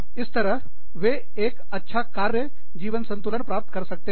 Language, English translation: Hindi, That way, they can achieve a good work life balance